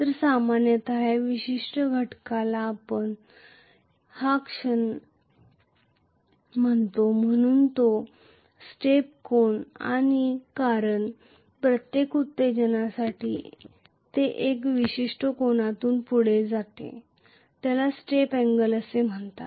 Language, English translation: Marathi, So, generally is this particular case we call the moment as the step angle because for every excitation it will move by a particular angle called Step angle